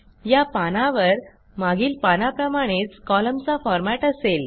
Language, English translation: Marathi, This page contains the same column format as on the previous page